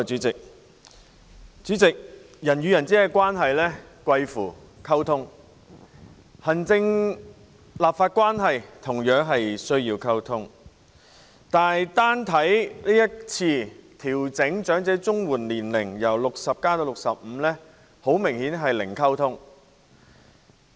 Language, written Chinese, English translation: Cantonese, 主席，人與人之間的關係貴乎溝通，行政立法關係同樣需要溝通，但單看這次把申領長者綜合社會保障援助計劃的年齡由60歲調整至65歲的方案，明顯是零溝通。, President communication is the key to interpersonal relationship whereas communication is also necessary in maintaining the relationship between the executive and the legislature . Yet by simply looking at the proposal to adjust the eligibility age for elderly Comprehensive Social Security Assistance CSSA Scheme from 60 to 65 it is obvious that there is no communication at all